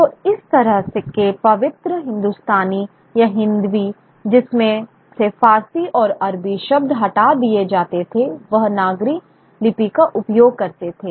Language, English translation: Hindi, So this kind of sanitized sort of Hindustani which or Hindavi would be would then be from which Persian and Arabic words would be removed would use the Nagriscript